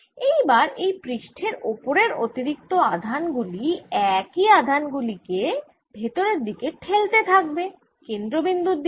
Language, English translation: Bengali, so now this charge, extra charge in the surface will start pushing in the same charge inside, pushing towards center